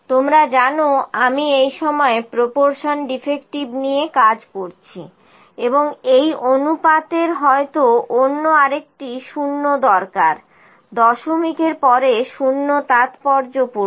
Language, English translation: Bengali, You know I am where working with the proportion defective this time and the proportion might need another 0, is significant 0 after the decimal